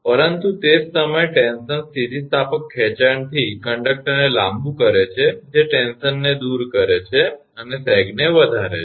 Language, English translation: Gujarati, But at the same time tension elongates the conductor from elastic stretching, which tends to relieve tension and sag increases right